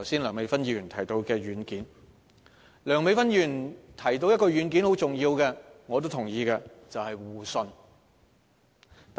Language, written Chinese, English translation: Cantonese, 梁美芬議員剛才提到一個十分重要的軟件，這是我也同意的，即互信。, Dr Priscilla LEUNG just now mentioned a very important software which I agree namely mutual trust